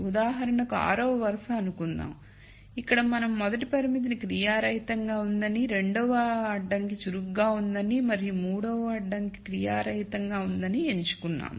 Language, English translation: Telugu, Let us say row 6 for example, here we have made a choice that the rst constraint is inactive, the second constraint is active and the third constraint is inactive